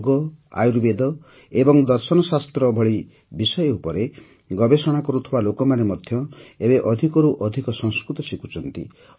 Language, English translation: Odia, People doing research on subjects like Yoga, Ayurveda and philosophy are now learning Sanskrit more and more